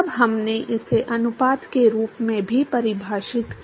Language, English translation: Hindi, Then we also defined this as the ratio of